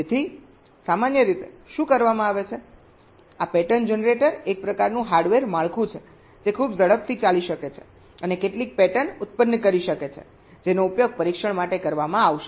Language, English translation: Gujarati, so typically what is done, this pattern generator, is some kind of a hardware structure which can run very fast and generate some patterns which will be use for testing